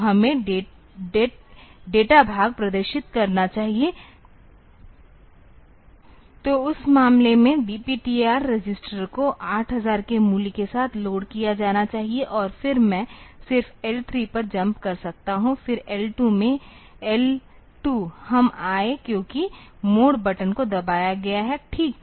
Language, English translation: Hindi, So, we should display the date part; so in that case the DPTR register should be loaded with the value 8000 and then I can just jump over to L 3; then in L 2; L 2, we came because the mode button has been pressed fine